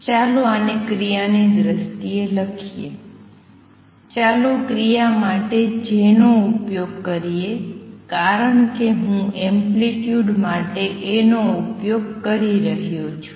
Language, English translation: Gujarati, Let us write this in terms of action, let me use J for action because I am using A for amplitude